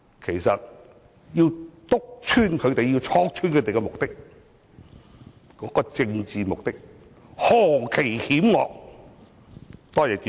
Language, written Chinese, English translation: Cantonese, 其實，我們應當面戳破他們的政治目的，是何其險惡，多謝主席。, Actually we should directly expose their malicious political agenda . Thank you President